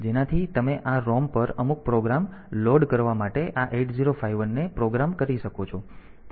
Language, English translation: Gujarati, So, you can program this 8051 to load some program onto this ROM